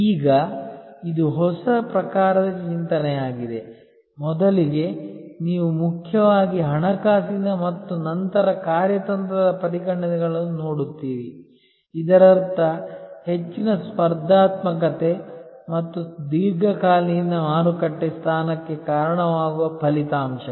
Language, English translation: Kannada, Now, this is the new type of thinking, earlier as you will see the considerations where mainly financial and then strategic; that means outcomes that will result in greater competitiveness and long term market position